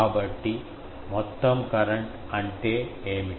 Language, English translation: Telugu, So, what is a total current